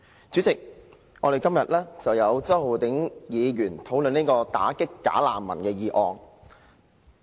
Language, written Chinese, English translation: Cantonese, 主席，周浩鼎議員今天提出討論"打擊'假難民'"的議案。, President today Mr Holden CHOW has moved a motion debate entitled Combating bogus refugees . The motion itself is rather bogus